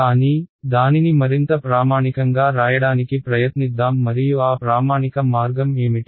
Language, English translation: Telugu, But, let us try to write it in a more standard way and what is that standard way